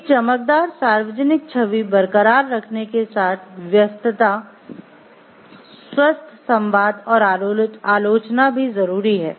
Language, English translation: Hindi, Preoccupation with keeping a shiny public image may silence healthy dialogue and criticism